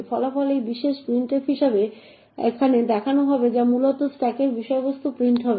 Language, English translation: Bengali, The result this particular printf would be as shown over here which essentially would print the contents of the stack